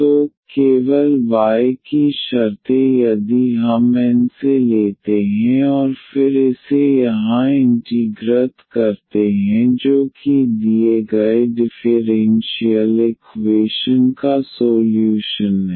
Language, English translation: Hindi, So, only the terms of y if we take from N and then this integrate here that is exactly the solution of the given differential equation